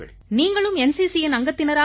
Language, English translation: Tamil, That you have also been a part of NCC